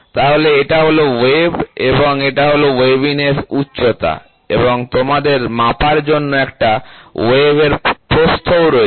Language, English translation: Bengali, So, this is the wave and this is the wave height and you also have wave width to be measured